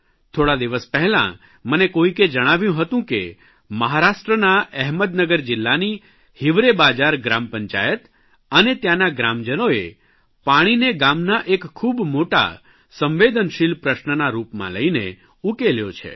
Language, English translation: Gujarati, I was recently told that in Ahmednagar district of Maharashtra, the Hivrebazaar Gram Panchayat and its villagers have addressed the problem of water shortage by treating it as a major and delicate issue